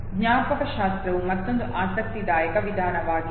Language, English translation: Kannada, Mnemonics is another interesting method